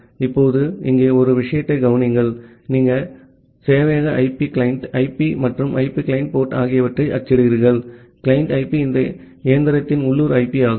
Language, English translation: Tamil, Now, note the note one thing here you are printing the server IP the client IP and the client port, the client IP is the local IP of this machine